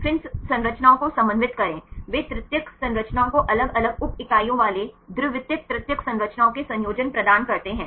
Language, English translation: Hindi, Then coordinate structures they provide the combination of the secondary tertiary structures having different sub units to give tertiary structures